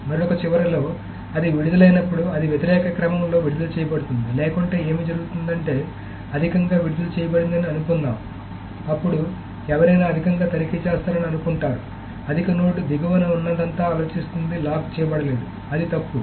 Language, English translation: Telugu, On the other hand, when it is released, it is released in the opposite order because otherwise what may happen is that suppose a higher leaf is released, then anybody checking the higher leaf you think higher node will think that everything else below is not locked